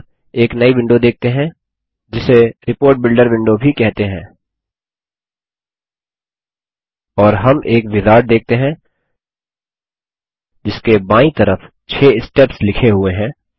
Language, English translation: Hindi, We now see a new window which is also called the Report Builder window, and we also see a wizard with 6 steps listed on the left hand side